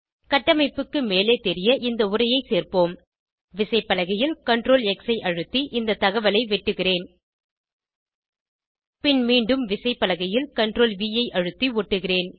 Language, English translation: Tamil, Let us add this text to appear above the construction I will cut and paste the information by pressing CTRL +X on the keyboard And then CTRL+V again on the keyboard